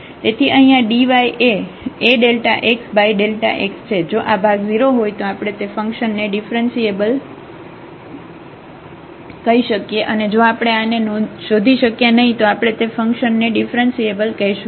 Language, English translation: Gujarati, So, that this quotient here the dy is A into delta x over dx over delta x, if this quotient is 0 then we call the function differentiable and if we cannot find such a A then we will call the function is not differentiable